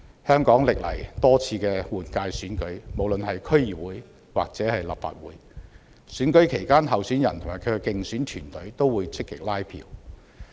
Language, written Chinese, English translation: Cantonese, 香港歷來多次的區議會或立法會換屆選舉期間，候選人及其競選團隊都會積極拉票。, In the past we have held numerous DC and Legislative Council general elections in Hong Kong during which candidates and their electioneering teams made active efforts to canvass support